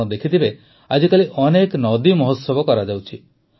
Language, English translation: Odia, You must have seen, nowadays, how many 'river festivals' are being held